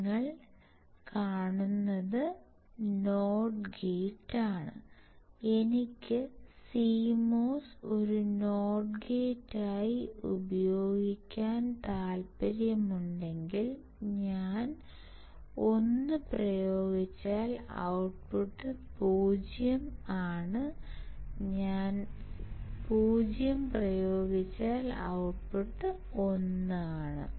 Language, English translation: Malayalam, So, if you see is as not gate, if I want to use CMOS as a not gate , not gate is w if I apply 1 my output is 0 if I apply 0 my output is 1 right